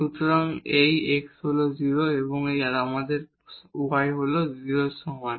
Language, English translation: Bengali, So, this x is 0 and then we have y is equal to 0